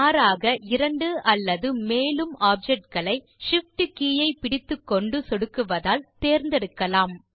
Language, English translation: Tamil, Alternately, you can select two or more objects by pressing the Shift key and then clicking on each object